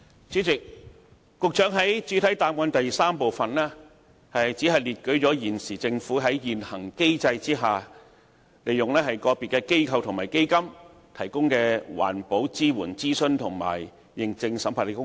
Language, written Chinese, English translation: Cantonese, 主席，局長在主體答覆第三部分只列舉了現時政府在現行機制下，利用個別機構和基金提供的環保支援、諮詢及認證審核的工作。, President in part 3 of the main reply the Secretary sets out only the environmental support consultation and certification audits provided by the Government through individual organizations or funds under the existing mechanism